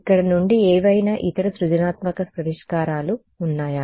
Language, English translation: Telugu, Any other any creative solutions from here